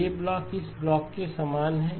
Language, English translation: Hindi, So this block is the same as this block